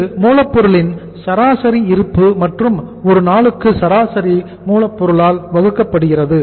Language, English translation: Tamil, That is the average stock of raw material and divided by the average raw material committed per day